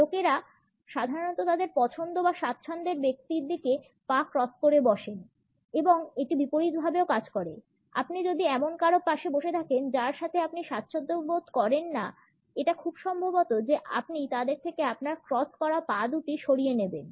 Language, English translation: Bengali, People usually cross a leg towards someone they like or are comfortable with and it also works the opposite way; if you are sitting beside somebody that you are not comfortable with; it is pretty likely you are going to cross your leg away from them